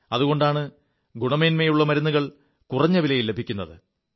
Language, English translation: Malayalam, That is why good quality medicines are made available at affordable prices